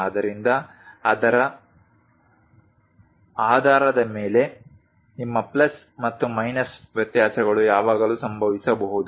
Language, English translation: Kannada, So, based on that your plus and minus variations always happen